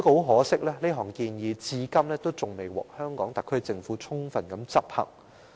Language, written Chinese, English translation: Cantonese, 可惜，建議至今仍然未獲香港特區政府充分執行。, Regrettably the proposal has not yet been fully implemented by the SAR Government to date